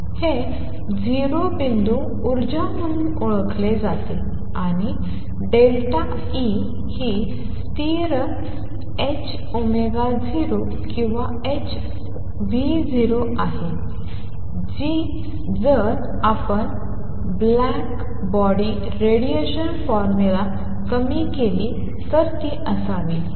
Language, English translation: Marathi, This is known as 0 point energy, and delta E is a still h cross omega 0 or h nu 0 which it should be if we were to reduce the blackbody radiation formula